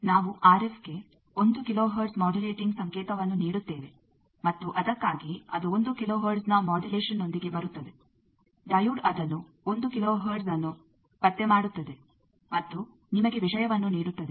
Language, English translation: Kannada, We give a one kilo hertz modulating signal to the RF, and that is why it comes in with a modulation of one kilo hertz the diode can detect that, that 1 kilo hertz and gives you the thing